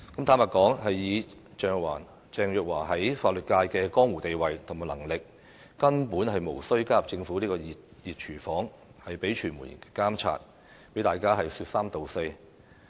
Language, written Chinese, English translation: Cantonese, 坦白說，以鄭若驊在法律界的江湖地位及能力，根本無須加入政府這個"熱廚房"，被傳媒監察，被大家說三道四。, Frankly speaking given her status in the legal profession and her competence Teresa CHENG simply did not need to enter the hot kitchen of the Government to be monitored by the media and to be subject to all sorts of remarks